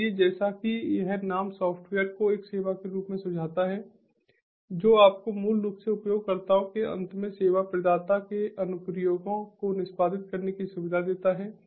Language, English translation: Hindi, so, as this name suggests, software as a service basically gives you facility to execute service providers applications at the users end